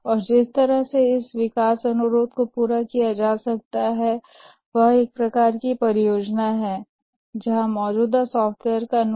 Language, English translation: Hindi, And the only way this development request can be made is by having a services type of project where there is a customization of existing software